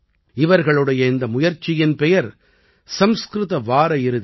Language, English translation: Tamil, The name of this initiative is Sanskrit Weekend